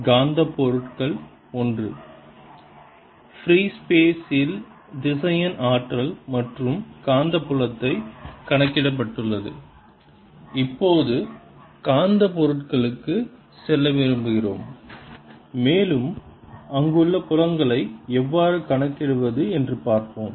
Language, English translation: Tamil, having calculated ah vector potential and magnetic field in free space, we now want to move on to magnetic materials and see how to calculate fields there